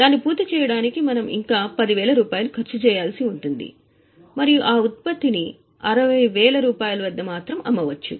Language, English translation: Telugu, We will have to spend further 10,000 rupees for finishing it and then the product can be sold at 60,000